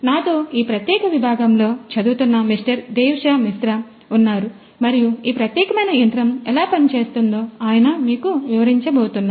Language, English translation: Telugu, Devashish Mishra, who have been the scholar in this particular department and he is going to explain to you how this particular machine works